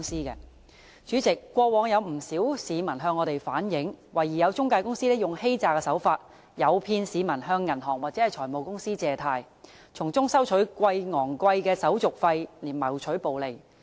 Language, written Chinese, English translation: Cantonese, 代理主席，過往有不少市民向我們反映，懷疑有中介公司以欺詐手法，誘騙市民向銀行或財務公司借貸，從中收取高昂手續費謀取暴利。, Deputy President quite a number of members of the public have relayed to us that they suspect intermediaries adopt fraudulent practices to levy exorbitant service charges to make excessive profits by enticing members of the public to raise loans from banks or finance companies